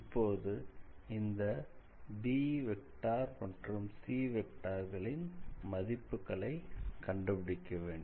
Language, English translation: Tamil, Now, we have to find the values for b and c